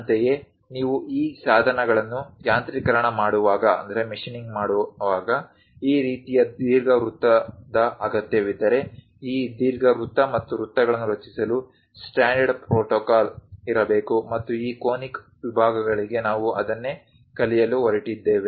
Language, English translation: Kannada, Similarly, when you are machining these tools; if one requires this kind of ellipse is, there should be a standard protocol to construct these ellipse and circles, and that is the thing what we are going to learn for this conic sections